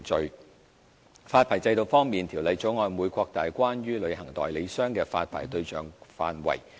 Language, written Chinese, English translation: Cantonese, 在發牌制度方面，《條例草案》會擴大關於旅行代理商的發牌對象範圍。, As regards the licensing regime the Bill will widen the scope of persons to be licensed as travel agents